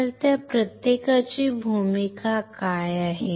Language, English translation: Marathi, So, what is the role of each of those